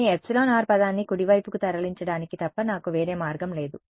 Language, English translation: Telugu, Then I have no choice, but to move the epsilon r term to the right hand side right